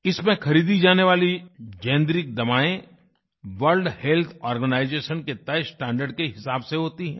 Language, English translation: Hindi, Generic medicines sold under this scheme strictly conform to prescribed standards set by the World Health Organisation